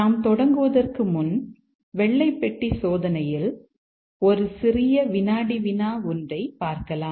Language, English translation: Tamil, But before we get started, just a small quiz on white box testing